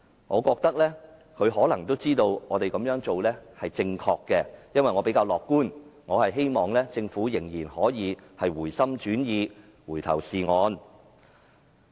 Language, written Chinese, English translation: Cantonese, 我覺得她可能知道我們這樣做是正確的，因為我比較樂觀，希望政府仍然可以回心轉意，回頭是岸。, I feel that she might know what we are doing is right because I am more optimistic . I still hope that Government will change its mind and get back onto the right track